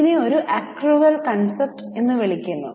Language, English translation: Malayalam, This is called as a accrual concept